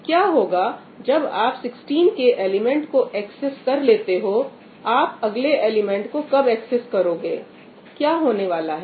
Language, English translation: Hindi, And what happens after you access 16 K element, when you access the next element